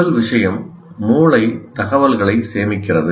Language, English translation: Tamil, First thing is the brain stores information